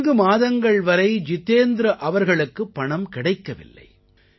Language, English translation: Tamil, This continued for four months wherein Jitendra ji was not paid his dues